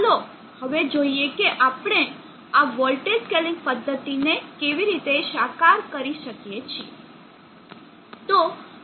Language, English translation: Gujarati, Now let us see how we go about realizing this voltage scaling method